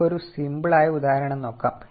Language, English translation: Malayalam, We will take a look at a simple example